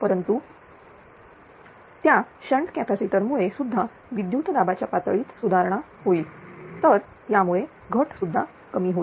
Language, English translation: Marathi, But otherwise that shnt capacitor also improves the your voltage level, so it also reduces the losses